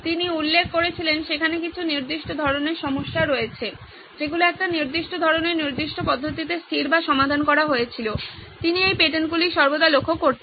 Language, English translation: Bengali, He noted that there was certain types of problems that were fixed or solved in a certain type of in a certain way, he noticed these patents all along